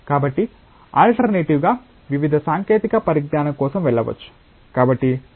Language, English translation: Telugu, So, as an alternative one can go for various technology